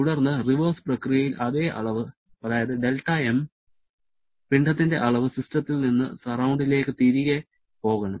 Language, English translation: Malayalam, Then, during the reverse process, exactly the same amount that is del m amount of mass must move back from the system to the surrounding